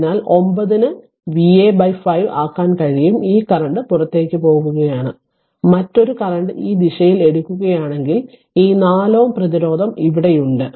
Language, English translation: Malayalam, So, 9 is equal to you can make V a by 5 this current is leaving, and another current if you take in this direction, this 4 ohm resistance is here